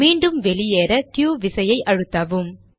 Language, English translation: Tamil, To go back press the down key